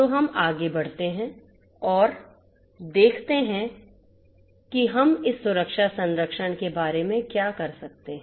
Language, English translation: Hindi, So, let us proceed further and see what we can do about this security protection